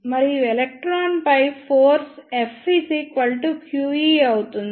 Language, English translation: Telugu, And the force on the electron will be F is equal to q v